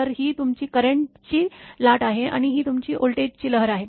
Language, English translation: Marathi, So, this is your current wave, and this is your voltage wave